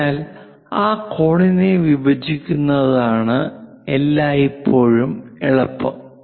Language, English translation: Malayalam, So, it is always easy for us to bisect that angle